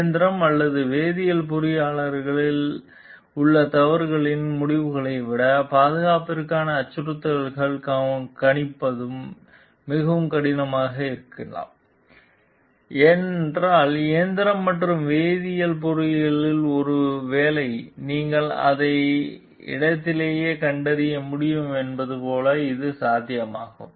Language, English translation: Tamil, Thus threats to safety may be more difficult to predict than the results of mistakes in mechanical or chemical engineering, because in mechanical and chemical engineering maybe it is feasible like you can just detect it on the spot